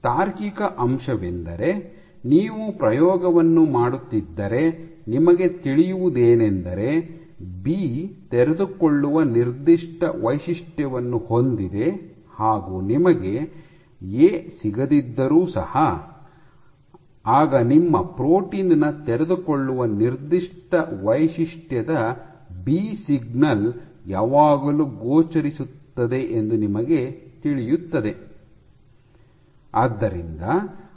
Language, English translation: Kannada, The rationale being that if you are doing your experiment then you know that because B has an unfolding signature even if you do not get A then you know that your B signal should always appear in your protein unfolding signature